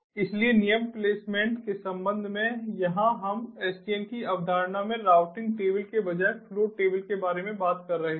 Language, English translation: Hindi, so, with respect to rule placement, what happens is here we are talking about flow tables instead of routing tables in the concept of sdn